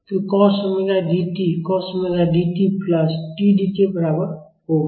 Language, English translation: Hindi, So, cos omega D t will be equal to cos omega D t plus T D